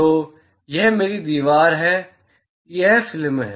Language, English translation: Hindi, So, this is my wall; that is the film